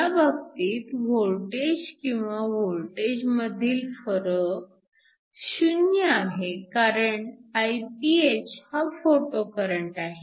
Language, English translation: Marathi, In this case the voltage or the voltage difference is 0 because you have a photocurrent; Iph